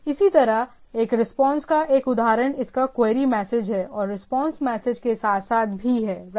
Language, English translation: Hindi, Similarly, example of a response is it query message is there and along with the response message is also there right